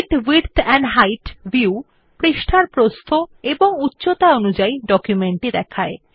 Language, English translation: Bengali, The Fit width and height view fits the document across the entire width and height of the page